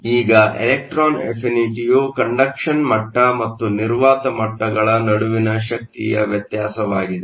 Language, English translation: Kannada, Now, the electron affinity is the energy difference between the conduction level and the vacuum level